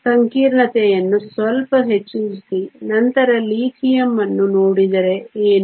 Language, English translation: Kannada, What if we increase the complexity a bit further and then look at Lithium